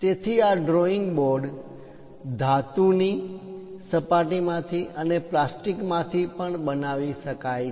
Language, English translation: Gujarati, So, these drawing boards can be made even with metallic surfaces and also plastics